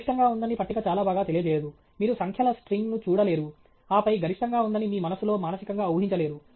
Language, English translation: Telugu, A table does not very nicely convey that there is a maximum; you cannot just a look at a string of numbers, and then, mentally make up in your mind that there is a maximum